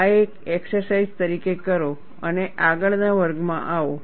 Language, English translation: Gujarati, Do this as an exercise and come to the next class